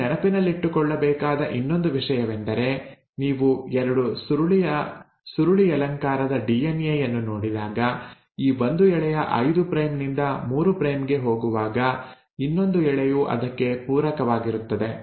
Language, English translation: Kannada, The other thing which you have to remember is that when you look at a DNA double helix; let us say this is one strand which is going 5 prime to 3 prime, the other strand is going to be complementary to it